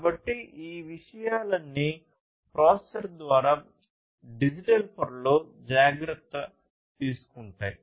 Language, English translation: Telugu, So, all of these things are taken care of in the digital layer by the processor